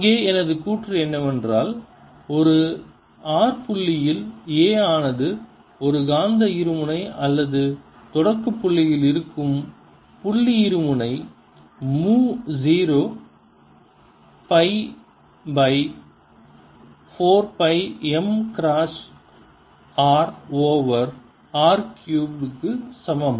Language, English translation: Tamil, ok, and my claim here is let me give a trial here that a at point r for a magnetic dipole, point dipole sitting at the origin, is equal to mu naught over four pi m cross r over r cubed